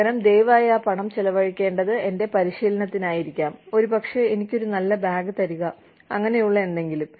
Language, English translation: Malayalam, Instead, please spend that money, may be on my training, maybe give me a nice bag, may be, you know, stuff like that